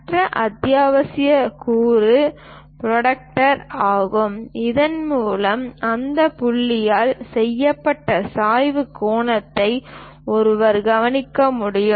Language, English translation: Tamil, The other essential component is protractor through which one can note the inclination angle made by that point